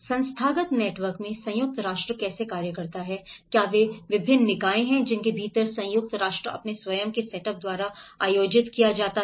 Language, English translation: Hindi, In the institutional networks, how UN functions, what are the various bodies within which the UN is organized by its own setup